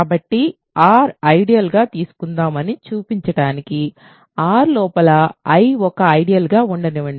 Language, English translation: Telugu, So, in order to show that let us take in ideal in R let I inside R be an ideal ok